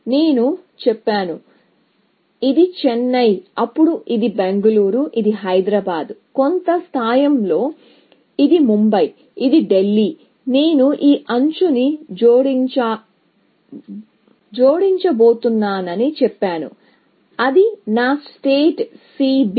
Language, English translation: Telugu, I have said that; so, this is Chennai, then, this is Bangalore; this is Hyderabad; on some scale, this is Mumbai; this is Delhi; I have said I am going to add this edge, and that is my set C B